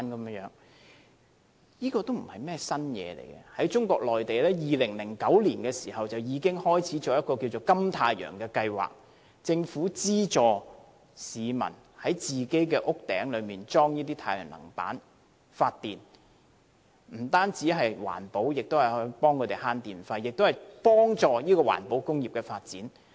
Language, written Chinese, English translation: Cantonese, 這不是甚麼新事物，中國內地在2009年已開始推行一個金太陽計劃，由政府資助市民在他們的屋頂設置太陽能板發電，不單環保，也能節省電費，而且幫助環保工業的發展。, The suggestion is nothing new . In the Mainland the Golden Sun programme was introduced in 2009 under which the Government subsidized the installation of solar panels on roofs . The initiative is environmentally friendly reduces electricity charges and helps promote the development of environmental industries